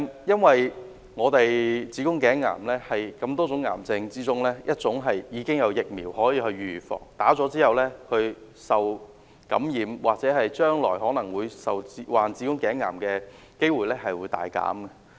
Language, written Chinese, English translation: Cantonese, 因為子宮頸癌是多種癌症中，已經有疫苗可以預防的，而且接種後受感染或將來患子宮頸癌的機會均會大減。, It is because among many cancer diseases cervical cancer is preventable with vaccine . After vaccination the chances of infection or proneness to cervical cancer will be greatly reduced